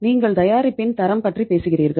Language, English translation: Tamil, You talk about the quality of the product